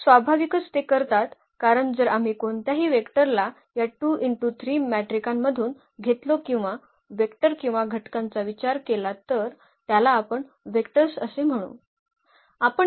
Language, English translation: Marathi, So, naturally they do because if we consider any vector any matrix from this 2 by 3 matrices or the elements we call vectors only